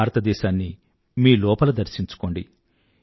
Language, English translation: Telugu, Internalize India within yourselves